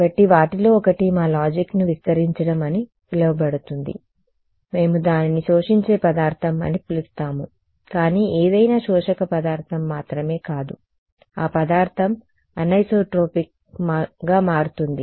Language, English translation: Telugu, So, one of them is going to be what is called as extending our logic we will call it an absorbing material ok, but not just any absorbing material that material will turn out to be anisotropic